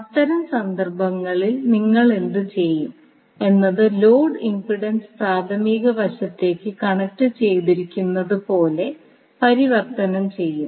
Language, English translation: Malayalam, So, in that case what you will do you will take the load impedance converted as if it is connected to the primary side